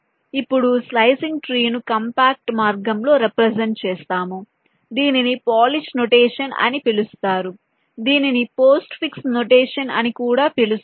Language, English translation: Telugu, now a slicing tree can be represented in a compact way by a, some something call a polish expression, also known as a postfix expression